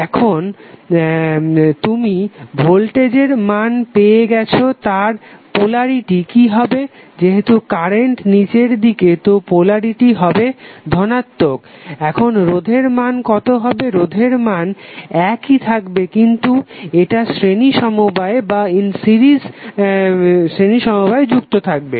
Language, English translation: Bengali, Now, you have got the value of voltage what should be its polarity since, current is down ward so, your polarity will be plus now, what would be the value of resistance, resistance value will remain same but, now it will be in series